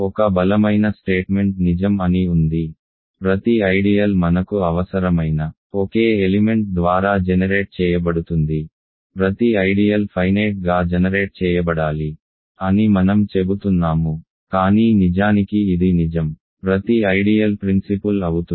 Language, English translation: Telugu, There is a stronger statement that is true, every ideal is generated by a single element we only need in fact, that every ideal must be finitely generated I am saying, but even better is true in fact, every ideal is principal